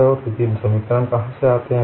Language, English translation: Hindi, And we would observe how the equations look like